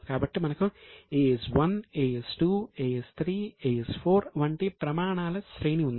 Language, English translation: Telugu, So, we had a series of standards like AS1, AS2, AS3, S 4 and so on